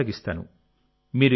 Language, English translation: Telugu, It is in the process